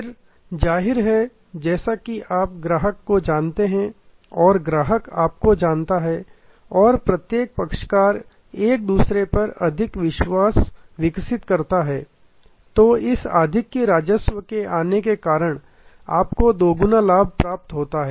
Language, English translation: Hindi, Then; obviously, as the customer becomes known to you and the customer knows you and each party develops more confidence in each other, then due to this additional revenues coming in, you are doubly benefited